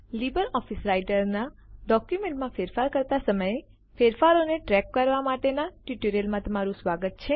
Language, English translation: Gujarati, Welcome to the tutorial on LibreOffice Writer Track changes while Editing a document